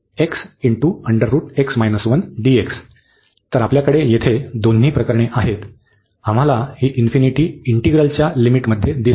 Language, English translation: Marathi, So, we have both the cases here, we do see this infinity in the limit of the integral